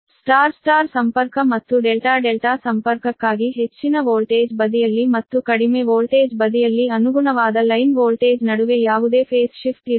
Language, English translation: Kannada, so in star star or delta delta connection, the ratio of the voltage on high voltage and low voltage side at the same as the ratio of the phase voltage on the high voltage and low voltage side